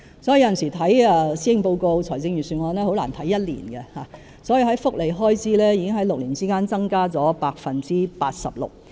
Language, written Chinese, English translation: Cantonese, 因此，有時看施政報告和財政預算案很難只看1年，福利開支在6年之間已經增加了 86%。, Hence insofar as the Policy Address and the Budget are concerned it is undesirable to merely read the one for the current year for in the past six years the expenditure on welfare has increased by 86 %